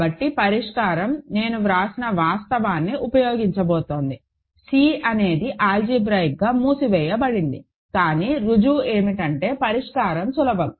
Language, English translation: Telugu, So, the solution is going to use the fact that I wrote, that C is algebraically closed, but then the proof is, solution is easy